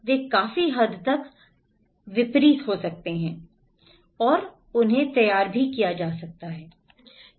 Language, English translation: Hindi, They can ready at great extent